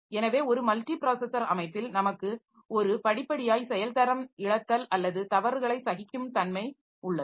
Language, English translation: Tamil, So, in a multiprocessor system we have got a graceful degradation or fault tolerance